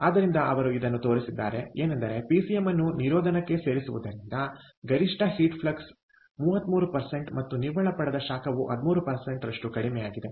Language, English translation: Kannada, so this is what they showed: that adding pcm to the insulation actually reduced the peak heat flux by thirty three percent and the net heat gained by thirteen percent